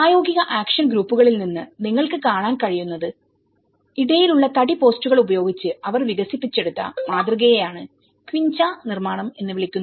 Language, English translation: Malayalam, So, what you can see is from the practical action groups, the model they developed the plan with the timber posts in between and they have this is called quincha construction